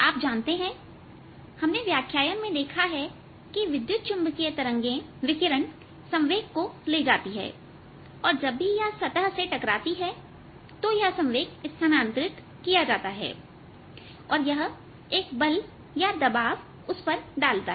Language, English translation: Hindi, you know we have done in the lectures that electromagnetic radiation carries momentum and whenever it strikes a surface that momentum is going to be transferred and that exerts a force or develops a pressure